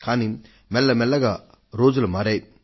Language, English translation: Telugu, But gradually, times have changed